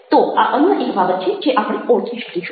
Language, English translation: Gujarati, so that's another thing that we would be able to identify